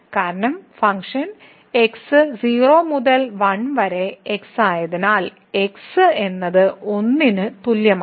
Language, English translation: Malayalam, We should note that because the function is from 0 to 1 and then it is is equal to 1